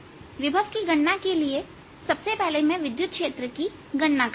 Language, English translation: Hindi, to calculate the potential, i'll first calculate the electric field